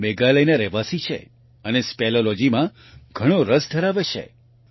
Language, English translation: Gujarati, He is a resident of Meghalaya and has a great interest in speleology